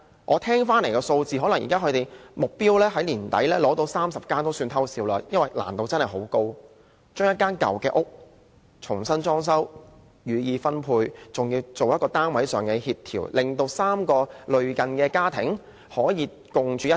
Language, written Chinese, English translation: Cantonese, 我聽聞，能在年底達成取得30個單位這個目標也要"偷笑"，因為真的很困難，將一個舊單位重新裝修，予以分配，還要做配對協調，令3個類似家庭可以共處一室。, I have learnt that it should be considered a stroke of luck if the target of obtaining 30 flats can be achieved by the end of this year because it is laborious to renovate an old flat allocate it to those in need and coordinate the matching so that three similar families can live in harmony in the flat